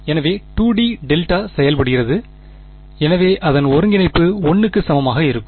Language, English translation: Tamil, So, 2 D delta functions so its integral is just going to be equal to 1